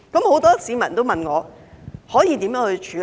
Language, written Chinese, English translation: Cantonese, 很多市民也問我可以如何處理。, Many people have asked me what can be done about this